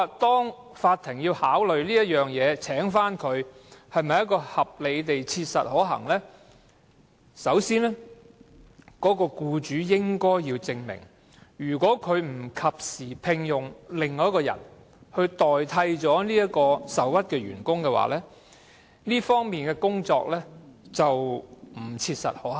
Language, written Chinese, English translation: Cantonese, 因此，法庭在考慮再次聘用這名員工是否合理地切實可行時，僱主必須先證明，如果他不及時另聘僱員替代該名受屈員工，在工作方面將不切實可行。, Therefore when the court considers whether re - engagement of the employee concerned is reasonably practicable the employer must first prove that if he does not timely engage a replacement for the aggrieved employee it will not be operationally practicable